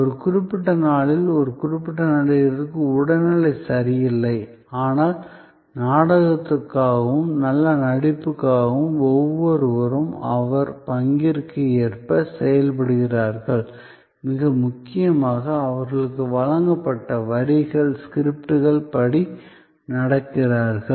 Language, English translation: Tamil, May be on a particular day, one actor is not feeling to well physically, but yet for the sake of the play and for the sake of good performance, every one acts according to their role and most importantly, according to the lines, the script given to them